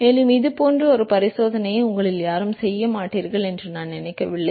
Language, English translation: Tamil, And I do not think such kind of an experiment any of you will be doing ever